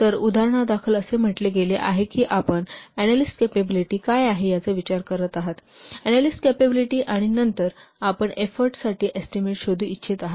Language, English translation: Marathi, So the example said that you are considering the what analyst capability, the capability of the analyst, and then you want to find out the estimate for the effort